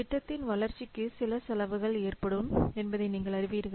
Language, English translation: Tamil, You know that development of the project will incur some cost